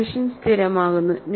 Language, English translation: Malayalam, The solution stabilizes